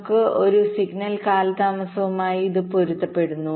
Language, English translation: Malayalam, this correspond to the signal delays due to gate transitions